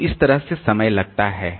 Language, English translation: Hindi, So, that way it takes time